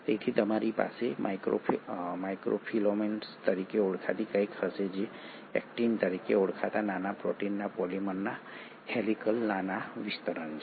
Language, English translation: Gujarati, So you will have something called as microfilaments which are helical small extensions of polymers of small proteins called as Actin